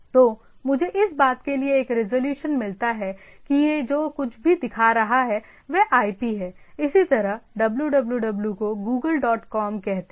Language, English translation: Hindi, So, I get a resolution for that whatever it is showing is the IP, similarly www say google dot com